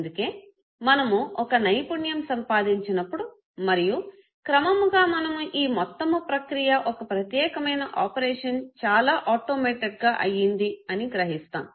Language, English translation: Telugu, So when we acquire a skill and gradually we realize that the whole process that we have learned for a particular type of an operation becomes too automated okay